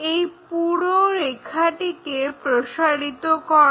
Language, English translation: Bengali, Project this entire line